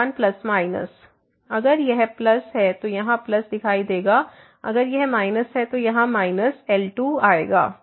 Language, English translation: Hindi, plus and minus if it is a plus there here plus will appear; if it is a minus here, then minus will come